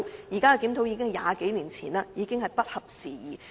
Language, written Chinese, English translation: Cantonese, 現有檢討早在超過20年前完成，已經不合時宜。, The existing review was completed more than 20 years ago and has become obsolete